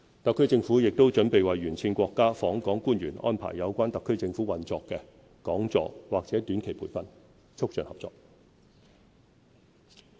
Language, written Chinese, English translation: Cantonese, 特區政府亦準備為沿線國家訪港官員安排有關特區政府運作的講座或短期培訓，促進合作。, The HKSAR Government is also prepared to organize talks or short - term training on the operation of the HKSAR Government for visiting officials from Belt and Road countries to enhance cooperation